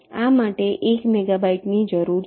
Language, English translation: Gujarati, this requires one megabyte